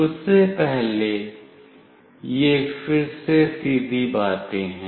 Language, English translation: Hindi, Prior to that these are again straightforward things